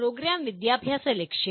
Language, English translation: Malayalam, Program Educational Objectives